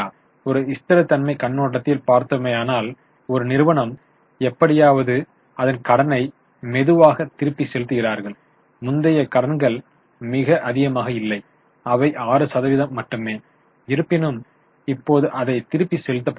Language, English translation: Tamil, Yes, from a stability viewpoint because they are slowly repaying their debt anyway even earlier the dates were not very high, they were only 6% but now even with you are repaid